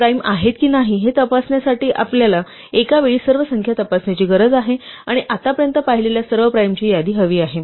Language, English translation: Marathi, We need to go through all the numbers one at a time to check if they are primes, and we need a list of all the primes we have seen so far